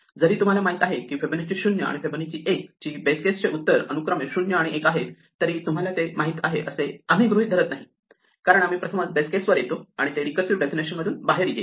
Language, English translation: Marathi, And notice that this table is empty, even though we know the base case of Fibonacci of 0 and Fibonacci of 1 are 0 and 1 respectively, we do not assume you know it, because it will come out as the first time we hit the base case it will come out of the recursive definition